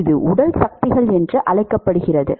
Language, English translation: Tamil, It is called body forces